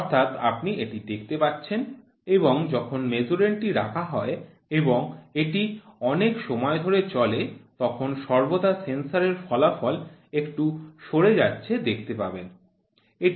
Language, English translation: Bengali, So, this you can see as and when the Measurand it keeps and going over a period of time the sensor output there is always a drift